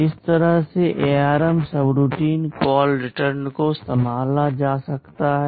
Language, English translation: Hindi, This is how in ARM subroutine call/return can be handled